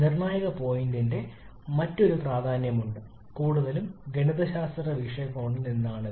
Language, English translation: Malayalam, There is another significance of the critical point mostly from a mathematical point of view which is this